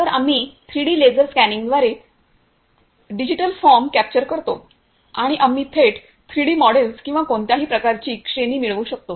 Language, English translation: Marathi, So, we capture the digitized form by the 3D laser scanning and we can get directly 3D models or any kind of category